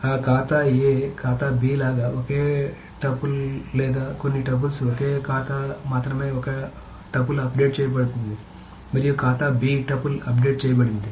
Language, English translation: Telugu, So single tuple or a couple of tuples like that account A, account B, it's only account A tuple is updated and account B tuple is updated